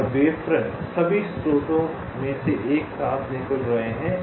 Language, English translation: Hindi, cells and wavefronts are emanating from all the sources together